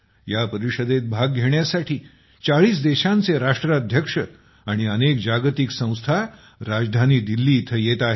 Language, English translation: Marathi, Heads of 40 countries and many Global Organizations are coming to the capital Delhi to participate in this event